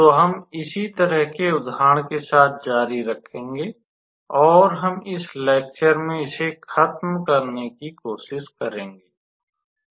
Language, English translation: Hindi, So, we will continue with the similar example, and we will try to finish it in this lecture